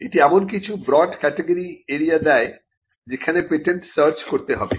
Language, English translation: Bengali, And it also gives some broad categories of areas where the patent has to be searched for